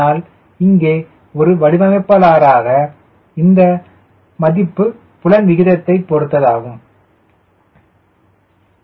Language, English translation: Tamil, but here, as a designer, please see that this value depends upon aspect ratio